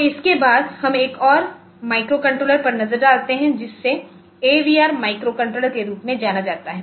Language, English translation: Hindi, So, after this we look into another microcontroller which is known as the which is known as the AVR microcontroller